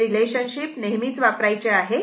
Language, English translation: Marathi, This relationship is always used